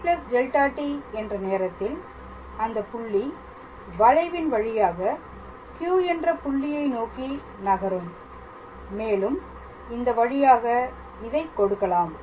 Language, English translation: Tamil, So, at the time t plus delta t the point has moved along the curve to the point Q and it is given as this way all right